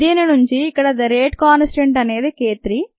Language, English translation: Telugu, the rate constant here is k three